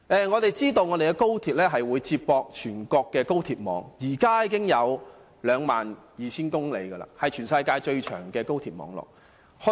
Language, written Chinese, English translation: Cantonese, 我們知道高鐵將與全國高鐵網連接，高鐵網絡現時已長達 22,000 公里，是全世界最長的高鐵網絡。, We do know that the Hong Kong Section of the XRL will be linked to the national express rail network now stands at 22 000 km in length which is by far the longest express rail network in the world so far